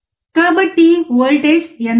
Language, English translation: Telugu, So, what is the voltage